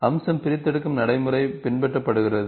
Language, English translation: Tamil, Feature extraction procedure is followed